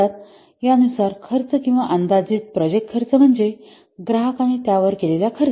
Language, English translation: Marathi, So, according to this, the cost or the estimated project cost is that cost that the customer can spend on it